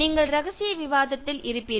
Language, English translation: Tamil, And you will be in confidential discussion